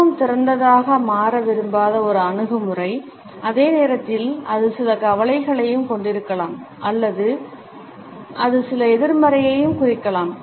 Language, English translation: Tamil, An attitude which does not want to become very open and at the same time it may also have certain anxiety or it may also indicate certain negativity